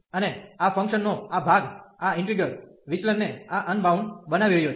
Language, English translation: Gujarati, And this part of this function is making this integral divergent this unbounded